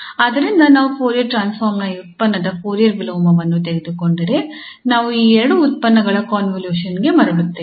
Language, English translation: Kannada, So if we take the Fourier inverse of this product of the Fourier transforms, then we get back to the convolution of these two functions